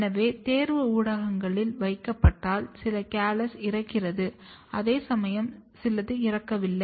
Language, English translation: Tamil, So, once placed on selection media, here you can see some of the calluses are dying whereas, some are not dying